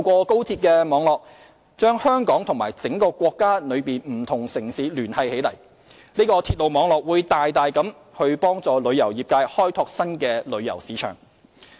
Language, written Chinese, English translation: Cantonese, 高鐵網絡將香港和全國各地城市聯繫起來，大大幫助香港旅遊業界開拓新的旅遊市場。, The linking up of Hong Kong with various Mainland cities by the XRL network will greatly help Hong Kongs tourism industry to develop new source markets